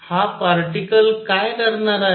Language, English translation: Marathi, So, what will this particle do